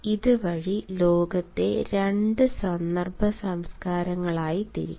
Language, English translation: Malayalam, this way, the world can be divided into two context cultures